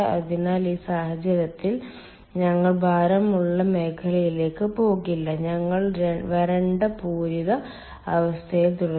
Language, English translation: Malayalam, so in this case ah, we will not have go into the weight region at all, ah, we will remain in the dry saturated condition